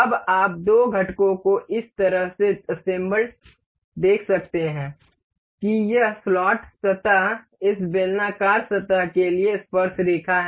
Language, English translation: Hindi, Now, you can see the two components assembled in a way that does this slot surface is tangent to this cylindrical surface